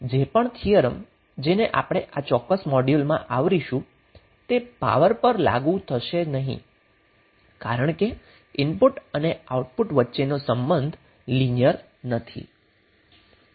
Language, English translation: Gujarati, So that is why whatever the theorems we will cover in this particular module will not be applicable to power because the relationship between input and output is not linear